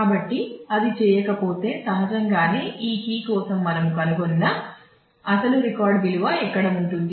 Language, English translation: Telugu, So, if it does not then naturally the question is when where will the actual record value we found out for this key